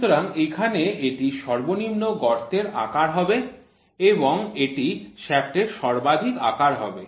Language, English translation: Bengali, So, here it will be minimum hole size and this will be maximum shaft size, so this will be maximum shaft size, ok